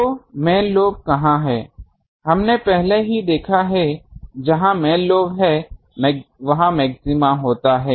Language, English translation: Hindi, So, where is the main lobe, we have already seen; where is the main lobe, maxima occurs